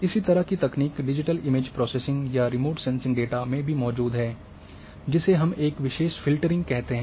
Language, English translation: Hindi, The similar technique also exists in digital image processing or remote sensing data, where we call as a special filtering